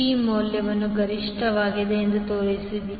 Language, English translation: Kannada, Show that the value of P is maximum